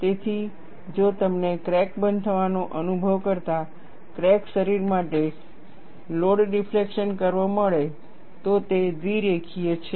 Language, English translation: Gujarati, So, if I get the load deflection curve, for a cracked body experiencing crack closure, is bilinear